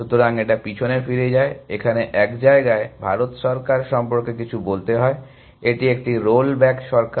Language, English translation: Bengali, So, it rolls back you know, there is to say about the Indian government at one point, it is a roll back government